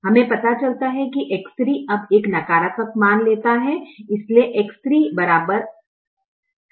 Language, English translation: Hindi, we realize that x three now takes a negative value, so x three becomes equal to minus four